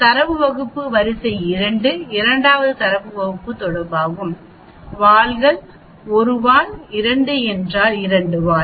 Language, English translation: Tamil, Array 1 is 1 first data set, array 2 is second data set, tails is one tail, 2 means two tail